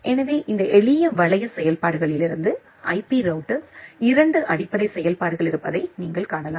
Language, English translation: Tamil, So, from this simple loop functionalities you can see that there are two basic functionalities of an IP router